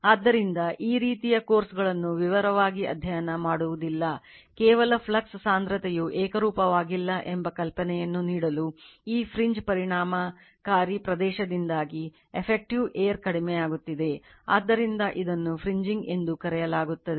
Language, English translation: Kannada, So, this type of although we will not study in detail for this course, we will not study this, just to give an idea that flux density is not uniform right, an effective air because of this fringe effective your area is getting decrease right, so, this is called fringing